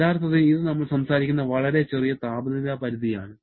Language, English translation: Malayalam, Actually, it is a quite small temperature range that we are talking about